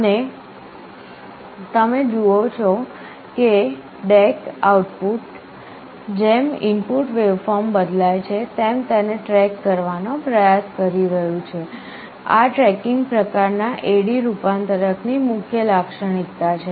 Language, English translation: Gujarati, And you see the DAC output is trying to track the input waveform as it is changing, this is the main characteristic of the tracking type A/D converter